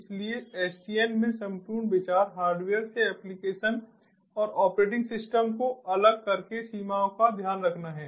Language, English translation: Hindi, so the whole idea in sdn is to take care of the limitations by separating the application and operating system from the hardware